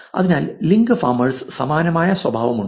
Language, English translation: Malayalam, So, therefore, link farmers also have this similar behavior